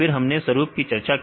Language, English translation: Hindi, So, then we discussed about patterns